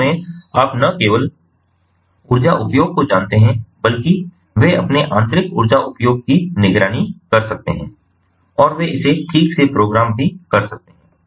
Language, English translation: Hindi, they can also not only that, they can monitor their inner energy usage, but they can also program that in